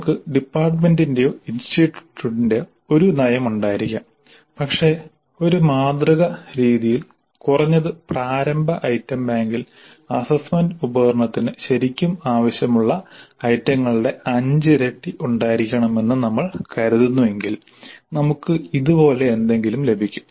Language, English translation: Malayalam, We might be having a policy of the department or the institute also but in a representative fashion if we assume that at least the initial item bank should have five times the number of items which are really required for the assessment instrument, we would get something like this